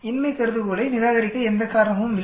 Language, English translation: Tamil, There is no reason to reject the null hypothesis